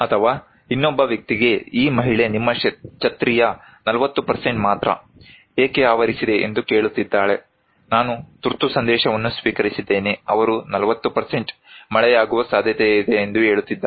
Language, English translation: Kannada, Or maybe another person whom this lady is asking that why 40% of your umbrella is covered, he said I received an emergency message is saying that there is a chance of 40% rain